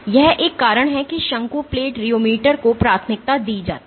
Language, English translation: Hindi, This is one reason why cone plate rheometer is preferred